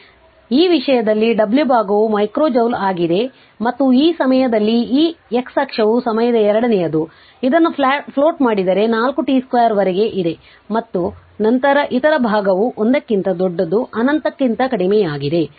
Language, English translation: Kannada, So, this side is W in terms of micro joule and this time you are this time is your x axis is your time second, if you plot it is 4 t square up to this and then that your what you call that your other part in between t greater than 1 less than infinity